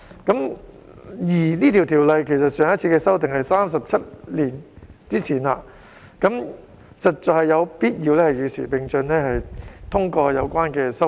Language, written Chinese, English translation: Cantonese, 有關的條例對上一次修訂已是37年前，我們實在有必要與時並進，通過相關修訂。, The relevant Ordinance was amended 37 years ago therefore we need to keep abreast with the times by endorsing the relevant amendments